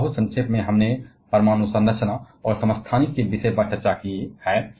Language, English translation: Hindi, And very briefly we have discussed about the topic of atomic structure and isotopes